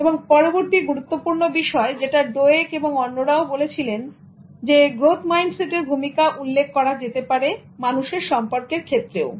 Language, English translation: Bengali, Now the next important thing that Carol Dweck and others who talk about growth mindset highlight is in terms of human relationships